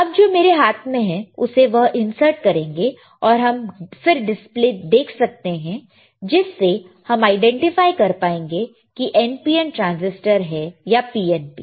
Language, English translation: Hindi, Now, the one that I am holding in my hand, he will insert it and he will and we can see the display, and we can we can identify whether this is NPN or PNP transistor